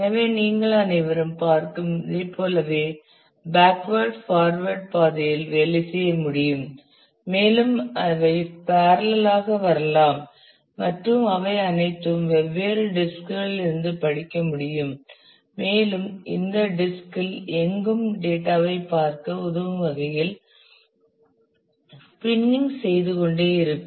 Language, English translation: Tamil, So, as you can see all of them can work along a path backward forward like this and they can come and parallelly all of them parallelly can read from the different disks and this disks keep on spinning to help you look at the data anywhere on the disk